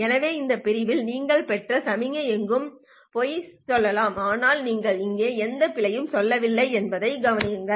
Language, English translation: Tamil, So let's say over this segment, your received signal can lie anywhere, but still notice that you are not making any errors here